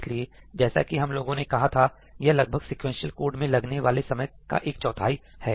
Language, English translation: Hindi, Yeah, so, as we said, right, it is roughly about one fourth the time of the sequential code